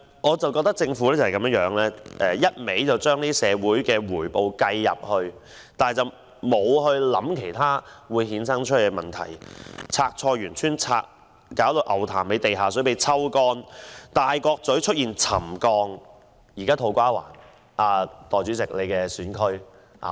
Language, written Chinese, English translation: Cantonese, 我覺得政府只是把社會回報計算在內，但沒有考慮可能會衍生的其他問題。例如，清拆菜園村、令牛潭尾地下水被抽乾、大角咀出現沉降等，現在土瓜灣也出現問題。, I think the Government has based its calculations solely on social benefits without considering the other problems that can possibly arise such as the clearance of Choi Yuen Tsuen loss of underground water in Ngau Tam Mei as well as settlement at Tai Kok Tsui and To Kwa Wan